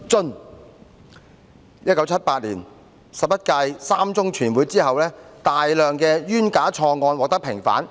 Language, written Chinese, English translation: Cantonese, "在1978年十一屆三中全會後，大量冤假錯案獲得平反。, March on! . On! . Following the Third Plenary Session of the 11 Central Committee in 1978 many unjust false and wrong cases were vindicated